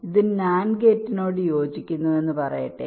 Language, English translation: Malayalam, so let say this corresponds to nand gate